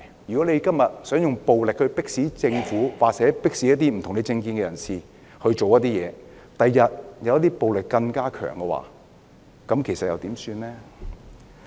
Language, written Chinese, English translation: Cantonese, 如果今天想用暴力迫使政府或持不同政見的人士做某些事情，日後出現更強烈的暴力時，又怎麼辦呢？, If they want to resort to violence to force the Government or people holding a different political view to do something today what if stronger violence emerges in future?